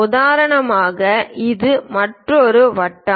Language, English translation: Tamil, For example, this is another circle